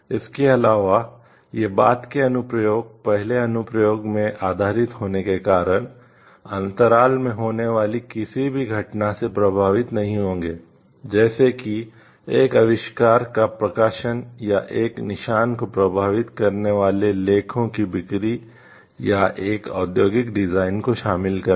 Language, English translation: Hindi, Moreover, the subsequent applications being based in the first application will not be affected by any event that takes place in the interval, such as the publication of an invention or the sale of the articles bearing a mark or incorporating an industrial design